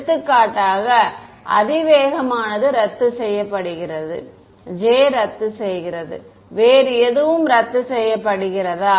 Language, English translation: Tamil, For example, the exponential cancels off, the j cancels off, anything else cancels off